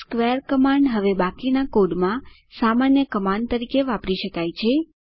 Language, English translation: Gujarati, square command can now be used like a normal command in the rest of the code